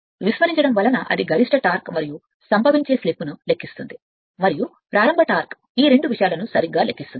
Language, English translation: Telugu, Even neglecting calculates the maximum torque and the slip at which it would occur and calculate the starting torque these two things right